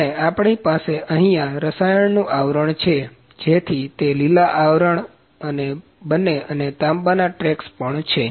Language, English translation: Gujarati, And then we have the chemical coating also to make it green coated at all and the copper tracks are there